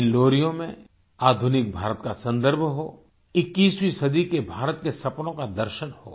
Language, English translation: Hindi, In these lullabies there should be reference to modern India, the vision of 21st century India and its dreams